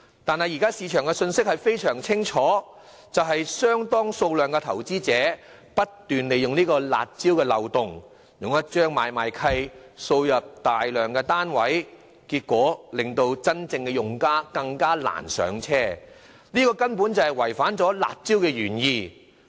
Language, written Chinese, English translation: Cantonese, 但是，現時市場的信息非常清楚，就是有相當數量的投資者不斷利用這個"辣招"漏洞，以一張買賣契約大舉購入大量單位，結果令真正用家更難"上車"，這根本違反了"辣招"的原意。, Furthermore the measures proposed then would be made even harsher if steps were taken midway to plug the loophole . Yet the message sent out by the market is now very clear when quite a number of investors are taking advantage of this loophole of the harsh measures to purchase a large number of residential properties under a single instrument rendering it even more difficult for genuine users to achieve home ownership thus defeating the original policy intent of the harsh measures